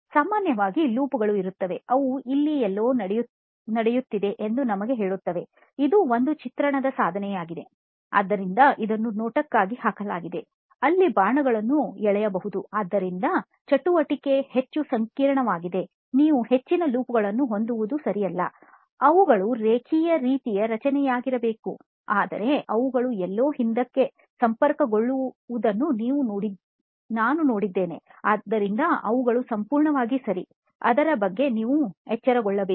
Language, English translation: Kannada, Loops are not uncommon but it tells you that there is something going on, so this is a representation tool, so and visually laid out, so it is ok to have arrows and all that, so the more complex in a activity is, the more loops you may have it is not also common to have them but is usually a linear sort of structure, but I have also seen somewhere they connect back, so it is perfectly ok, you are alright